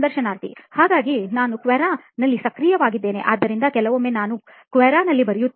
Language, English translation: Kannada, So I am active on Quora, so sometimes I do write on Quora